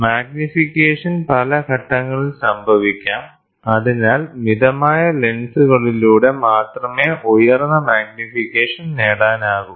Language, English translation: Malayalam, So, magnification can happen at several stages thus, highly magnification can be achieved only by moderate lenses